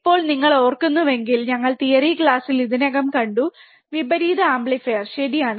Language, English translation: Malayalam, Now if you recall, we have already seen in the theory class, what exactly the inverting amplifier is right